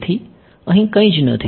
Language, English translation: Gujarati, So, there is nothing over here